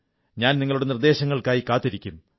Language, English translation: Malayalam, I will keep on waiting for your suggestions